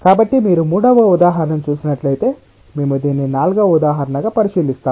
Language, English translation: Telugu, so if you see a third example, we look into a fourth example straight away